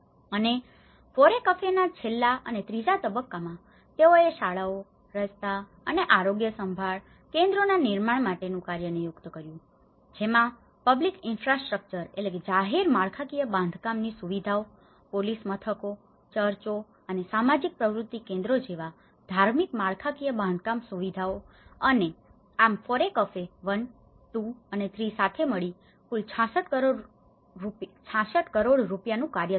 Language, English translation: Gujarati, And, in the last FORECAFE third stage it was designated for construction of schools, roads and health care centres, which has more to do with the public infrastructure, police stations, religious infrastructure like churches and social activity centres and FORECAFE 1, 2 and 3 together it talks about 66 crores rupees